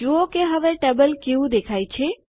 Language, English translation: Gujarati, See how the Table looks now